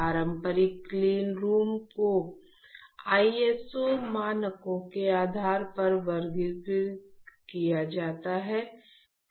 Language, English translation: Hindi, So, conventional clean rooms are classified based on ISO standards